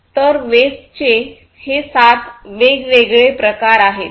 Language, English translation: Marathi, So, these are the seven different forms of wastes